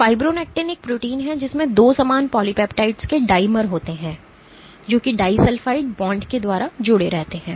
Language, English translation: Hindi, So, fibronectin is a protein which has dimers of 2 similar polypeptides which are linked by disulfide bonds